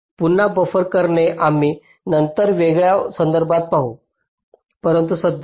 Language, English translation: Marathi, buffering again, we shall see later in a different context, but for the time being, thank you